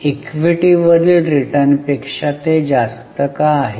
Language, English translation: Marathi, Why is it higher than return on equity